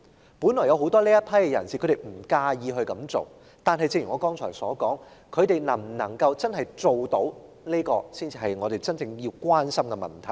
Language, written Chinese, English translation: Cantonese, 在這群人士中，大部分人本來也不介意這樣做，但正如我剛才所說，他們能否做得到才是我們真正關注的問題。, The majority of this group of people initially did not mind doing so . But as I said just now our real concern is their competence to perform such work